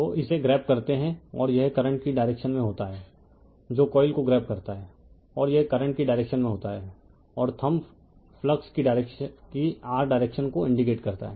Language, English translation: Hindi, So, you grabs it and this is in the direction of the current you grabs the coil and this in the direction of the current and thumb you will indicate your direction of the flux